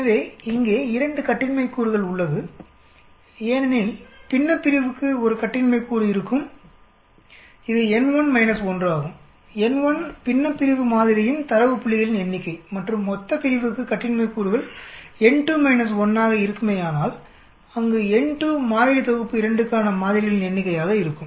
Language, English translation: Tamil, So here, there are 2 degrees of freedom because the numerator will have 1 degree of freedom which is n 1 minus 1, if n 1 is the number of data points for the numerator sample and for the denominator the degrees of freedom will be n 2 minus 1, where n 2 will be the number of samples in for the sample set 2